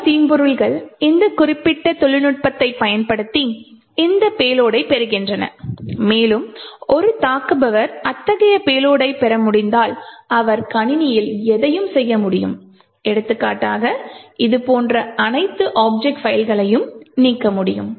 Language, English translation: Tamil, So many of the malware actually use this particular technique they obtain a payload and once an attacker is able to obtain such a payload, he can do anything in the system like example delete all the object files like this and so on